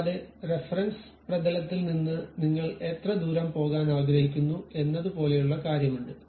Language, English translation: Malayalam, And, there is something like how far you would like to really go from the plane of reference